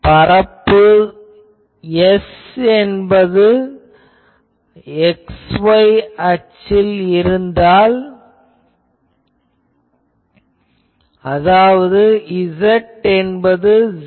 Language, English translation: Tamil, So, if the surface S lies in x y plane; that means, z is equal to 0